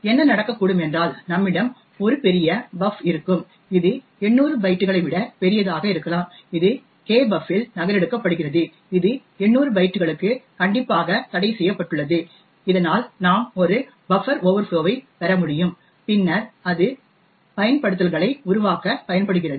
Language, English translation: Tamil, What could happen is that we would have a large buf which could be a much larger than 800 bytes getting copied into kbuf which is strictly restricted to 800 bytes thus we could get a buffer overflow which could be then used to create exploits